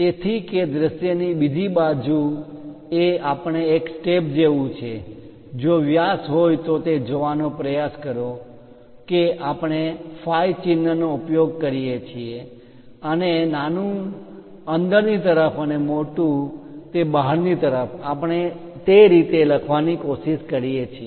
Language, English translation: Gujarati, So, that on the other side of the view we look at like a step one, try to look at diameters if it is diameter we use symbol phi, and smallest one inside and the largest one outside that is the way we try to look at